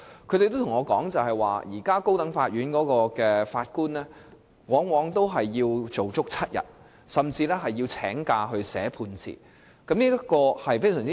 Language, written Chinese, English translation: Cantonese, 他們對我說，現時高等法院法官往往要工作7天，甚至要請假撰寫判詞，這種情況極不理想。, They told me that presently High Court judges often need to work for seven days and some even take leave for writing judgments . The situation is extremely unsatisfactory